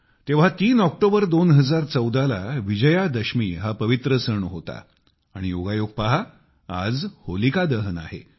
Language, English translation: Marathi, Then, on the 3rd of October, 2014, it was the pious occasion of Vijayadashmi; look at the coincidence today it is Holika Dahan